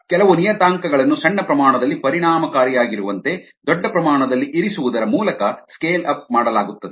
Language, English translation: Kannada, the scale up is done by keeping certain parameters at the large scale the same as the ones that were effective at the small scale